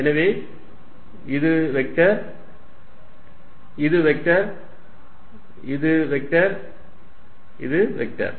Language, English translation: Tamil, So, vector this is vector, this is vector, this is vector, this is vector